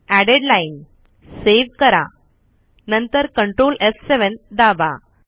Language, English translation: Marathi, Added Line, Save it, then Ctrl F7